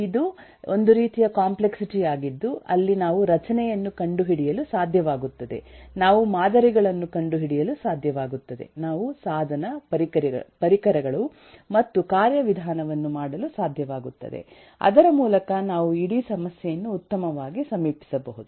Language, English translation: Kannada, rather, this is eh kind of complexity where we can, we are able to find structure, we are able to find patterns, we are able to, uhhhh, make device tools and mechanisms by which we can approach the whole problem better